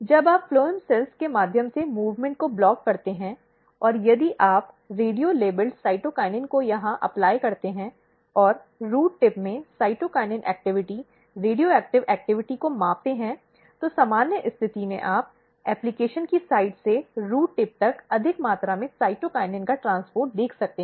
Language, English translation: Hindi, When you block movement through the phloem cells, and if you apply radio labeled cytokinin here, and measure the cytokinin activity radioactive activity in the root tip, in the normal condition, you can see very high amount of transport of cytokinin from site of application to the root tip